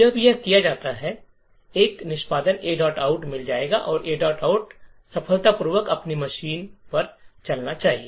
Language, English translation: Hindi, When this is done we would get an executable, a dot out and this a dot out should successfully run on your machine